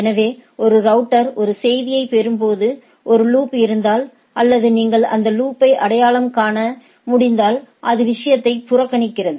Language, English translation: Tamil, So, when a router receives a message, if there is a loop or if you can identify the loop it ignored the thing